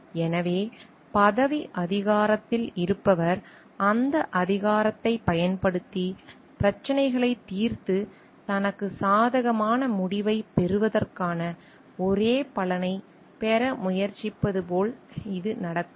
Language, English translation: Tamil, So, it may not so happened like the person who is in positional authority by using that power may try to get the only the benefit of the resolution of the issues and getting a favorable conclusion for himself or herself